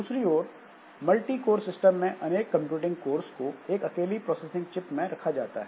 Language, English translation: Hindi, On the other hand, the multi core system, so multiple computing cores are placed in a single processing chip